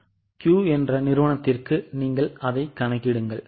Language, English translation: Tamil, Now calculate it for the other company which is Q